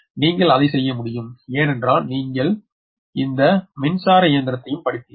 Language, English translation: Tamil, you can do it because you have studied also meshing right, electrical meshing